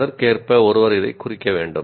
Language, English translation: Tamil, The correspondingly one has to tag like this